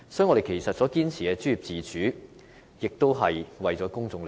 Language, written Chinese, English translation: Cantonese, 我們堅持專業自主，也是為了公眾的利益。, Our insistence on professional autonomy is in fact intended to protect the public interest